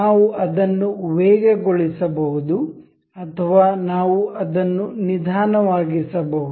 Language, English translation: Kannada, We can speed it up or we can slow play it